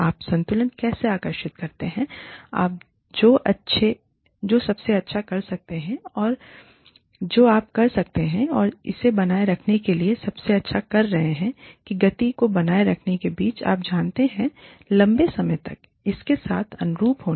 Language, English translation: Hindi, How do you draw, a balance between, doing the best you can, and maintaining that speed of doing the best you can, and maintaining it over, you know, being consistent with it over longer periods of time